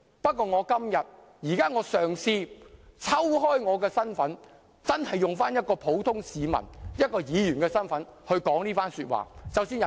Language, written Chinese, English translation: Cantonese, 不過，我現在嘗試抽身，真的以一個普通市民和議員的身份說出這番說話。, But I am trying to detach myself from my professional capacity and make these remarks really as a member of the ordinary public and a Member of this Council